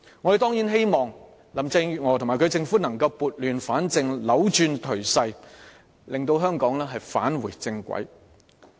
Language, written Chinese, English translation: Cantonese, 我們當然希望林鄭月娥及其政府能撥亂反正，扭轉頹勢，令香港重回正軌。, We certainly hope that Carrie LAM and her administration can bring order out of chaos and reverse the declining trend in order for Hong Kong to return to the right track